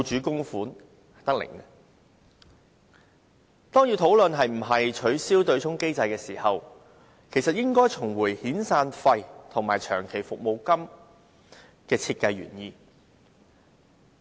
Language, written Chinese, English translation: Cantonese, 當我們要討論應否取消對沖機制時，應先看看遣散費及長期服務金的設計原意。, If we wish to discuss whether or not the offsetting mechanism should be abolished we should take a look at the original purpose of the severance payments and long service payments first